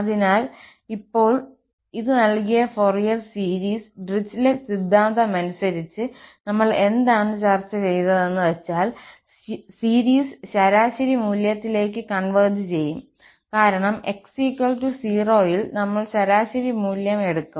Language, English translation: Malayalam, So, now, the Fourier series which was given by this, according to this Dirichlet’s theorem, according to this theorem, what we have just discussed that the series must converge to the average value, because at x equal to 0, we should take the average value